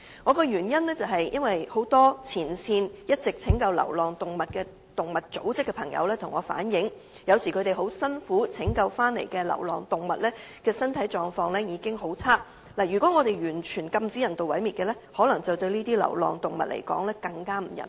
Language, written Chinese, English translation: Cantonese, 我提出有關修正的原因，是很多一直在前線拯救流浪動物的動物組織成員向我反映，有時候他們辛苦拯救回來的流浪動物的身體狀況已經很差，如果完全禁止人道毀滅，對這些流浪動物來說可能更不人道。, The reason for proposing the relevant amendment is that as reflected by many members of animal groups who have been rescuing stray cats and dogs in the front line the stray animals which they rescued were sometimes in a pretty bad physical condition so it may be more inhumane to these stray animals if we introduce a total ban on euthanization